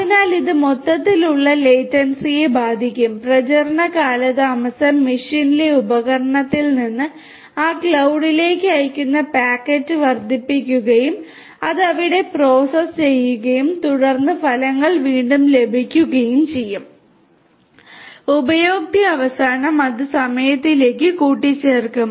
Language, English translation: Malayalam, So, this is going to in turn impact the overall latency, propagation delay is going to increase of the packet that is sent from the device in the machine to that cloud and also processing it over there and then getting it back again the results to the user end that again will add to the time